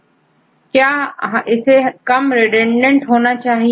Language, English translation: Hindi, Well it should be less redundant